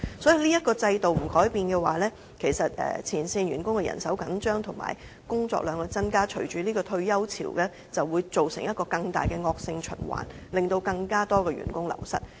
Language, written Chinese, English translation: Cantonese, 所以，這個制度若不改變，前線員工人手緊張，工作量增加，引發退休潮，便會造成一個更大的惡性循環，令更多員工流失。, So if this system remains unchanged front - line manpower will become tight and their workload will increase . This may trigger a retirement wave and in turn create a more serious vicious cycle of greater manpower wastage